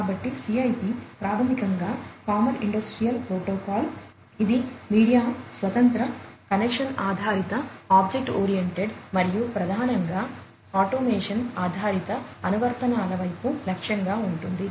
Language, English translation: Telugu, So, CIP basically is the Common Industrial Protocol, which is media independent, connection based, object oriented, and primarily targeted towards automation based applications